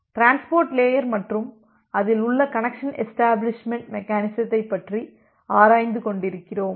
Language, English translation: Tamil, So, we are looking into the transport layer and the connection establishment mechanism in the transport layer